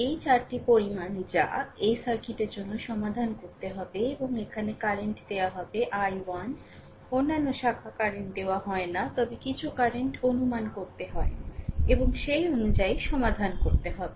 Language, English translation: Bengali, This are the this are the 4 quantities that we have to solve for this circuit right and here current is given i 1 other branches currents are not given, but we have to we have to assume right some current and according to we have to solve